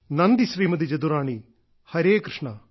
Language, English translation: Malayalam, Thank You Jadurani Ji